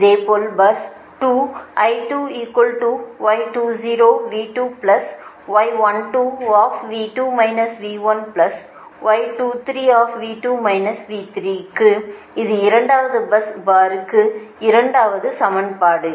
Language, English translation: Tamil, this is the second equation for the second bus bar right now, third bus bar